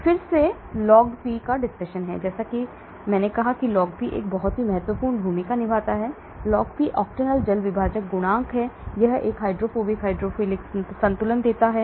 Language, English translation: Hindi, Then came log P; as I said log P plays is a very important role, log P is octanol water partition coefficient, it gives a hydrophobic, hydrophilic balance